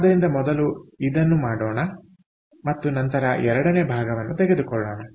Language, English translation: Kannada, all right, so lets first do this and then will compare the second part